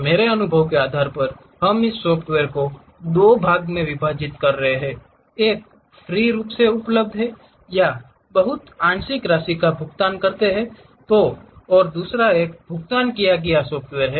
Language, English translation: Hindi, Based on my experience, we are dividing these softwares into two parts, one freely available or you pay a very partial amount and other one is paid software